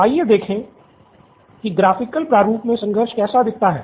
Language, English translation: Hindi, Let’s look at how the conflict looks like in graphical format